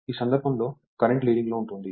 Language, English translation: Telugu, In this case current is leading right